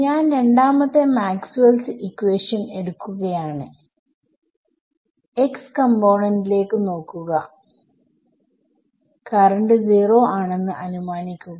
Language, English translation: Malayalam, So, I am taking the second Maxwell’s equation and looking at the x component and assuming current 0 ok